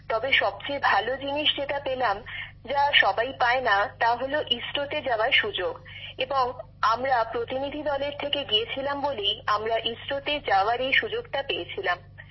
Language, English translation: Bengali, But the best thing that struck me there, was that firstly no one gets a chance to go to ISRO and we being delegates, got this opportunity to go to ISRO